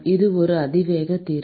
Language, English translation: Tamil, This is an exponential solution